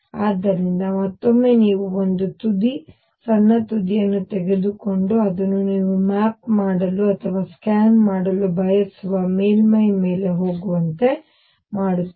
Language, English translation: Kannada, So, ideas is again that you take a tip, a small tip and make it go over a surface that you want to map or scan